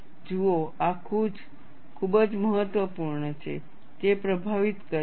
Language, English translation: Gujarati, See, this is very important, that influences